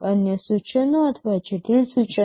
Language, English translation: Gujarati, Simple instructions or complex instructions